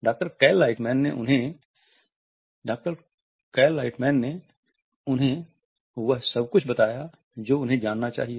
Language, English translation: Hindi, With the Doctor Cal Lightman they tell him everything he needs to know